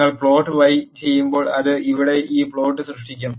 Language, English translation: Malayalam, When you plot y it will generate this plot here